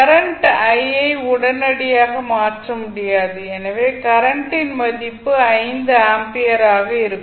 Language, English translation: Tamil, The current cannot change instantaneously so the value of current I naught will be 5 ampere